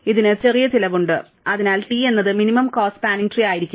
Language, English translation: Malayalam, It is of smaller cost and therefore, T could not have been a minimum cost spanning tree